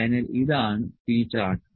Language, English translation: Malayalam, So, this was the p chart